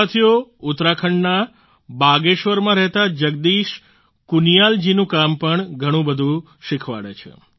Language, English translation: Gujarati, the work of Jagdish Kuniyal ji, resident of Bageshwar, Uttarakhand also teaches us a lot